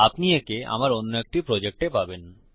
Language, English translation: Bengali, Youll find it in one of my projects...